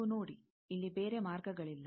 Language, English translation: Kannada, You see, there are no other paths here